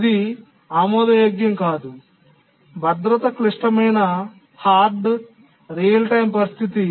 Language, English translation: Telugu, That's not acceptable in a safety critical hard real time situation